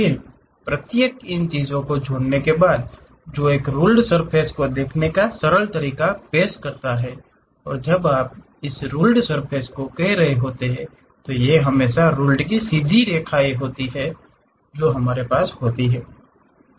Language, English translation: Hindi, Then join each of these thing, that represents a simplistic way of looking at a rule surface and when you are doing this rule surfaces these are always be straight lines the rule what we have